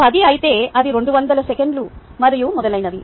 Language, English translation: Telugu, if it is ten, it is also two hundred seconds and so on